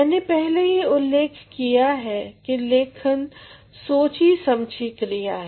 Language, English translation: Hindi, I have already mentioned earlier that writing has to be deliberate